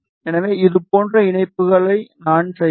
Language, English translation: Tamil, So, I will do the connections like this, ok